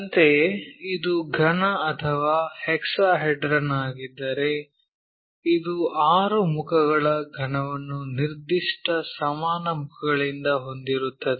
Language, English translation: Kannada, Similarly, if it is a cube or hexahedron, we have the six faces cube by definition equal side faces